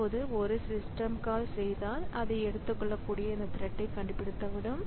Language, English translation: Tamil, So if this fellow now makes a system call, then maybe it can find this thread that can take it up